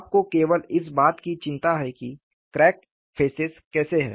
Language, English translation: Hindi, You are only worried about how the crack phases are